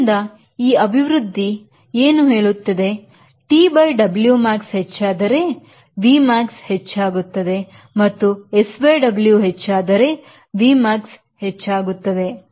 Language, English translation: Kannada, so what is this expression is telling that v max will increase if t by w max increases